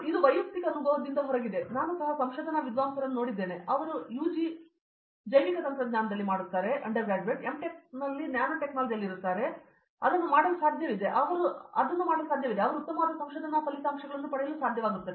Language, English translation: Kannada, This is out of personal experience and I have seen fellow research scholars, they are still able to make it through as in if they are UG was in biotech M Tech was in nanotech and still they are able to make it and get very good research results